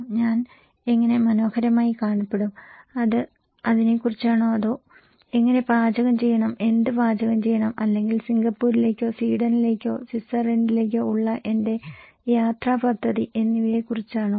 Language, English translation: Malayalam, How I would look good, is it about that one or is it about how to cook, what to cook and or my travel plan to Singapore or to Sweden or Switzerland